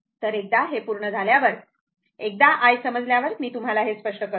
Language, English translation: Marathi, So, once it is done, once i is known right, let me clear it